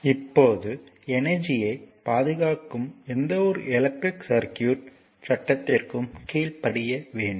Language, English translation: Tamil, So, now for any electric circuit law of conservation of energy must be obeyed right